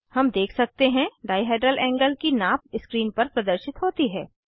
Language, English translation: Hindi, We can see the dihedral angle measurement displayed on the screen